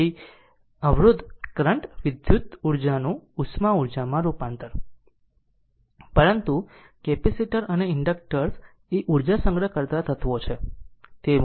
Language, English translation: Gujarati, So, resistors convert your current your convert electrical energy into heat, but capacitors and inductors are energy storage elements right